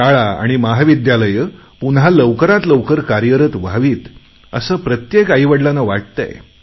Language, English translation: Marathi, Every parent wants the schools and colleges to be functioning properly at the earliest